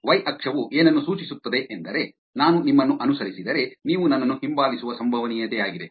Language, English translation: Kannada, y axis is the probability of you following me back, if I follow you